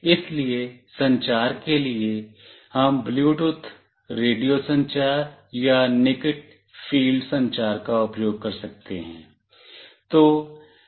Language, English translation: Hindi, So, for communication we can also use Bluetooth, radio communication or near field communication